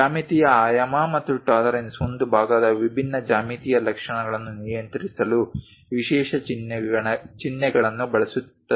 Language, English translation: Kannada, Geometric dimensioning and tolerancing uses special symbols to control different geometric features of a part